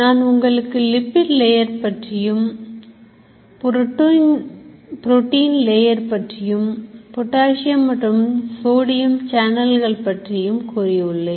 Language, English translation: Tamil, Now you remember I told you a lipid layer, protein layer, potassium channel, sodium channel